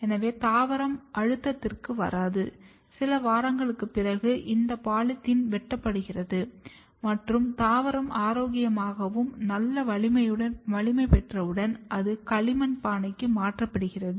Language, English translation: Tamil, So, that the plant does not come under stress and after a few week this polythene is cut, as you can see over here and once the plant is healthy and has good strength then it is transferred into the clay pot